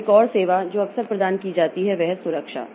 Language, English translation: Hindi, Then another service that often provided is the protection and security